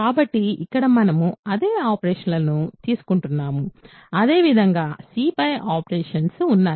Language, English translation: Telugu, So, here we are taking the same operations, as the operations on C